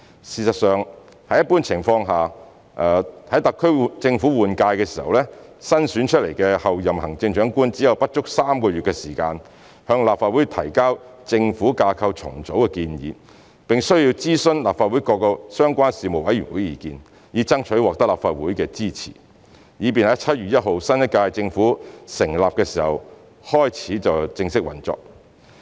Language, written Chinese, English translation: Cantonese, 事實上，在一般情況下，在特區政府換屆時，新選出的候任行政長官只有不足3個月的時間向立法會提交政府架構重組的建議，並須諮詢立法會各個相關事務委員會的意見，以爭取立法會的支持，以便在7月1日新一屆政府成立時正式開始運作。, In fact under normal circumstances the new Chief Executive - elect would have less than three months time to submit the reorganization proposal of government structure to the Legislative Council before the new government takes over and heshe needs to lobby for the support of the Legislative Council by consulting each relevant Panel so that the government of the new term can commerce operation formally on 1 July